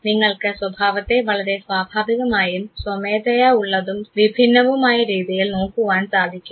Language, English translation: Malayalam, You look at the behavior in the more natural spontaneous and varied fashion